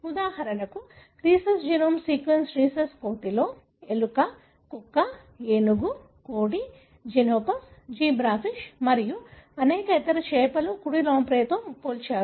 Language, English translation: Telugu, For example, rhesus; the genome sequence is compared with rhesus monkey, with mouse, dog, elephant, chicken, xenopus, zebra fish and many other fish, right, lamprey